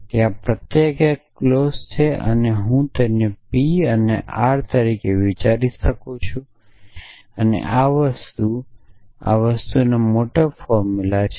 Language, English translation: Gujarati, So, each one of there is a clause and I can think of it as a P and R and this thing and this thing and this thing have a larger formula